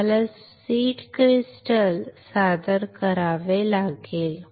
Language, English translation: Marathi, We have to introduce a seed crystal